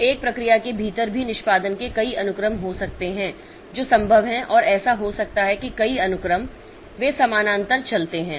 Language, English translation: Hindi, So, within a process also there can be several sequences of executions that are possible and it may so happen that a number of sequences they go parallel